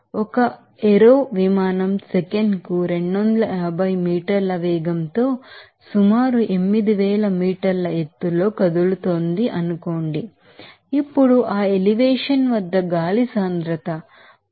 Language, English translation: Telugu, Suppose an aero plane is moving at a velocity 250 meter per second at an elevation of approximately 8000 meters Now, the density of the air at that elevation is considered as 0